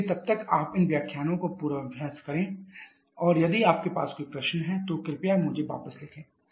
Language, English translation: Hindi, So, till then you revise these lectures and if you have any query please write back to me, thank you